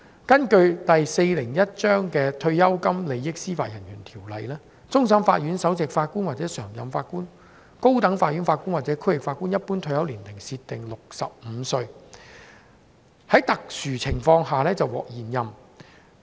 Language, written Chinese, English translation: Cantonese, 根據第401章《退休金利益條例》，終審法院首席法官或常任法官、高等法院法官或區域法院法官一般退休年齡設定為65歲，在特殊情況下可獲延任。, Under the Pension Benefits Ordinance Cap . 401 the general retirement age of Chief Justice or permanent Judges of CFA or Judges of the High Court or District Court is set at 65 and extension would be approved only under exceptional circumstances